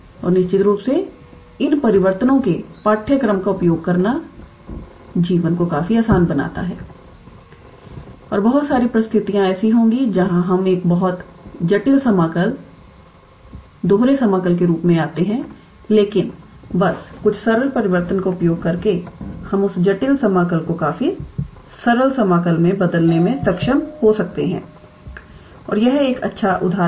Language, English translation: Hindi, And of course, using these transformation of course, makes life quite easy and there will be a lot of situations where we come across a very complicated integral double integral, but just using some simpler transformation we can be able to reduce that complicated integral into a fairly simple one and this is one such example